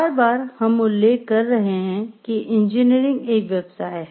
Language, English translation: Hindi, Time and again we have been mentioning like engineering is a profession